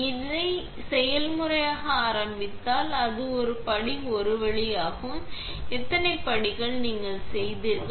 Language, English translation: Tamil, If you start this process, it will go through step one to and how many steps you have made